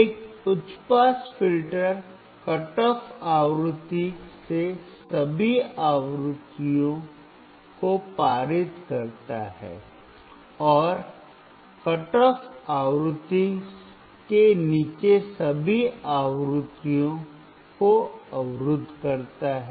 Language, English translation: Hindi, A high pass filter passes all frequencies from the cut off frequency, and blocks all the frequencies below the cut off frequency